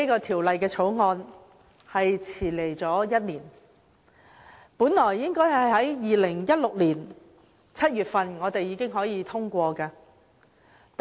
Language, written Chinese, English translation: Cantonese, 《條例草案》來遲了1年，本應早在2016年7月份已獲通過。, The Bill has arrived a year late . It should have been passed as early as in July 2016